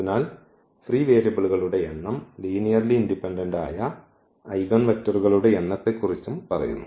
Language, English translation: Malayalam, So, the number of free variables tells about the number of linearly independent eigenvectors